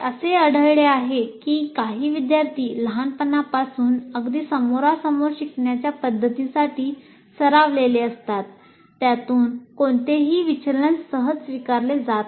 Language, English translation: Marathi, It has been found some students because they are used right from childhood in a face to face kind of thing, any deviation from that it is not readily acceptable